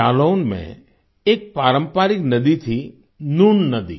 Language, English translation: Hindi, There was a traditional river in Jalaun Noon River